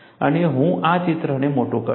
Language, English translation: Gujarati, And I will magnify this picture